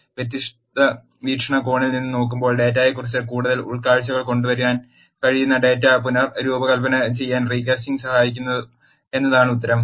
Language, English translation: Malayalam, The answer is recasting helps in reshaping the data which could bring more insights on the data, when it is seen from the different perspective